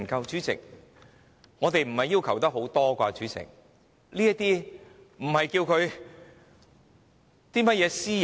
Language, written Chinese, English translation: Cantonese, 主席，我們的要求並不多，而且那些資料也不涉及私隱。, President we have not asked for too much and the information requested does not have any privacy implication